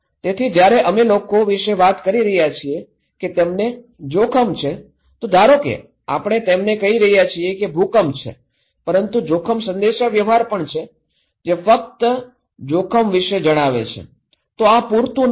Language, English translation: Gujarati, So, when we are talking about people that you are at risk, suppose we are telling them that there is an earthquake but a risk communication, only they tell about this risk or hazard, this is not enough